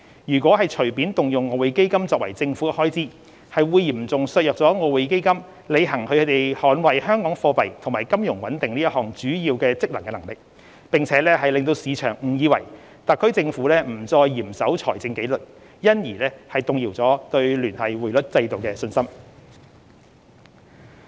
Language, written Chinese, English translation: Cantonese, 如果隨便動用外匯基金作政府開支，會嚴重削弱外匯基金履行捍衞香港貨幣和金融穩定這項主要職能的能力，亦令市場誤以為特區政府不再嚴守財政紀律，因而動搖對聯繫匯率制度的信心。, Taking it lightly to use EF to meet government expenditure will severely undermine its ability to perform its main function which is to safeguard Hong Kongs monetary and financial stability . This will also send a wrong message to the market that the Hong Kong Special Administrative Region Government is no longer observing strict fiscal discipline and hence undermine peoples confidence in the Linked Exchange Rate System